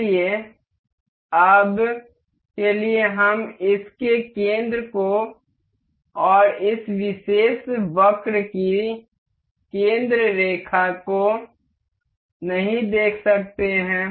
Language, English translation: Hindi, So, for now, we cannot see the center of this so far and the center line of this particular curve